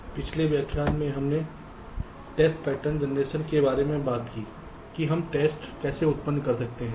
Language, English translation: Hindi, so in the last lecture we talked about test pattern generation, how we can generate tests